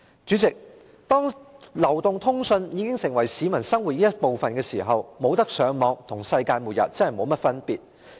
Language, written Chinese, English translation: Cantonese, 主席，當流動通訊已成為市民生活的一部分，若不能上網，真的跟世界末日沒有甚麼分別。, President when mobile telecommunication has already become part of the peoples everyday life failure to access the Internet is indeed no different from the end of the world